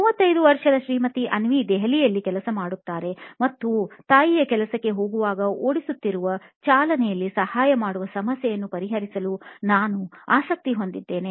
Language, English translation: Kannada, Mrs Avni, 35 year old mom in Delhi works during the day and in the part where I am interested in to solve a problem to help her out in mom driving to work